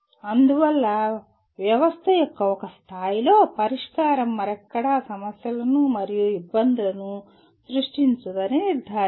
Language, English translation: Telugu, Thus, ensuring that a solution at one level of the system does not create problems and difficulties somewhere else